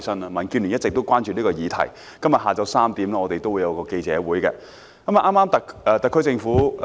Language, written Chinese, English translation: Cantonese, 民建聯一直也關注這個議題，故此今天下午3時我們會召開一個記者會。, It has all along been a concern to the Democratic Alliance for the Betterment and Progress of Hong Kong DAB . For that reason we will convene a press conference on the issue today at 3col00 pm